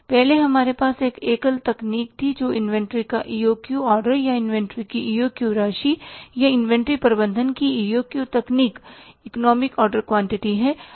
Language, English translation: Hindi, Arlet we had one single technique that is EOQ order of inventory or EOQ amount of inventory or EOQ technique of inventory management, economic order quantity